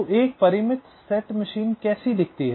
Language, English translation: Hindi, so how does a finite set machine look like